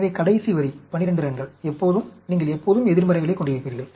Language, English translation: Tamil, So, last line will always, 12 runs, you always get in negative